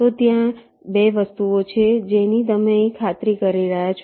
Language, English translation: Gujarati, so there are two things that you are just ensuring here